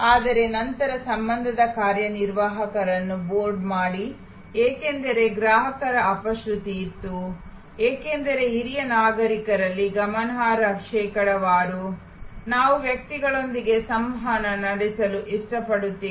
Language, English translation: Kannada, But, then board back relationship executives, because there was a customer dissonance, because a significant percentage of senior citizens, we like to interact with persons